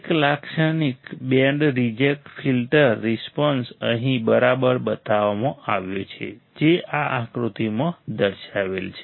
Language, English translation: Gujarati, A typical band reject filter response is shown here alright this shown in this figure